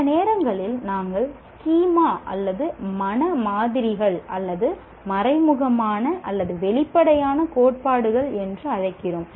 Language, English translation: Tamil, Sometimes we are also calling schemas or mental models or implicit or explicit theories if you have